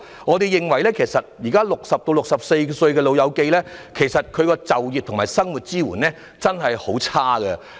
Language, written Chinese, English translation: Cantonese, 我們認為，現時60至64歲長者所獲的就業及生活支援確實很不理想。, We hold that the existing support in terms of employment and daily life rendered to elderly persons aged between 60 and 64 is indeed rather undesirable